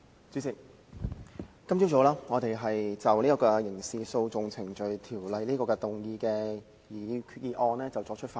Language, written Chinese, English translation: Cantonese, 主席，我們今早繼續就根據《刑事訴訟程序條例》動議的擬議決議案辯論。, President this morning we continue to debate the proposed resolution under the Criminal Procedure Ordinance